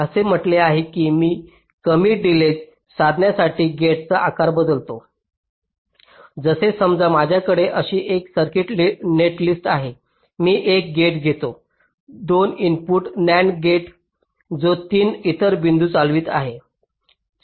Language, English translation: Marathi, it says that i change the size of the gate to achive a lower delay, like: suppose i have a circuit netlist like this: i take one gate, ah, two input nand gate which is driving three other points